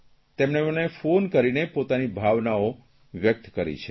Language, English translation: Gujarati, He called me up to express his feelings